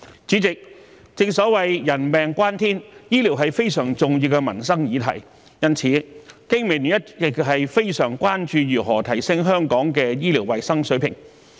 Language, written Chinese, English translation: Cantonese, 主席，正所謂人命關天，醫療是非常重要的民生議題，因此，香港經濟民生聯盟一直非常關注如何提升香港的醫療衞生水平。, President as the saying goes human life is of paramount importance . Healthcare is a very important livelihood issue . Therefore the Business and Professionals Alliance for Hong Kong BPA has all along been gravely concerned about how the healthcare standards of Hong Kong can be improved